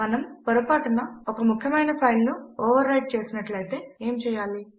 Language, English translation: Telugu, Now what if we inadvertently overwrite an important file